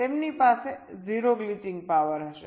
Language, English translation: Gujarati, they will have zero glitching power